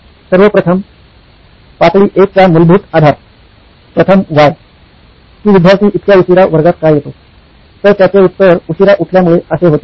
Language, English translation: Marathi, To look at it first at level 1, the basic premise, the first Why, the answer of why does the student come so late to class so regularly is because they woke up late